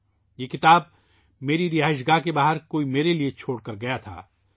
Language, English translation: Urdu, Someone had left this book for me outside my residence